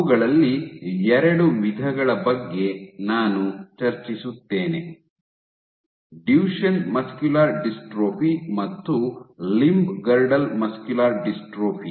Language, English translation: Kannada, So, I will discuss about 2 of them Duchenne muscular dystrophy and limb girdle muscular dystrophy